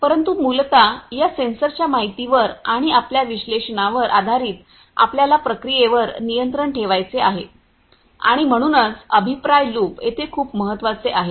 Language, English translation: Marathi, But essentially based on these you know the sensors information and your analysis analytics you have to control the process and so, the feedback loop is very much important over here